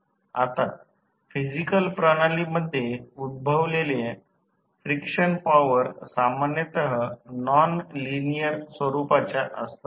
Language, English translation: Marathi, Now, the frictional forces encountered in physical systems are usually non linear in nature